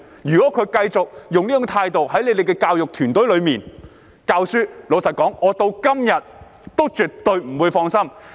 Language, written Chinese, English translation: Cantonese, 如果他們繼續用這樣的態度，留在教育團隊內教學，老實說，我直到今天也絕對不會放心。, If they remain in the education profession and continue to engage in teaching with such an attitude honestly speaking I would never feel relieved even up till now